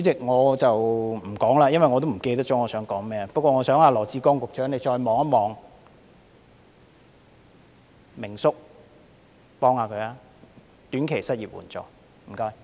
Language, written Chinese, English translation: Cantonese, 我已忘記想說甚麼，但我想羅致光局長再看看明叔的個案，幫幫他，設立短期失業援助金，謝謝。, I have forgotten what I want to say but I would like Secretary Dr LAW Chi - kwong to take another look at the case of Uncle Ming and help him by providing short - term unemployment assistance . Thank you